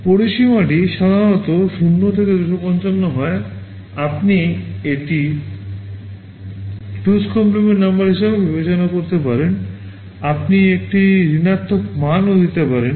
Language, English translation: Bengali, The range is typically 0 to 255, you can also regard it as a 2’s complement number you can give a negative value also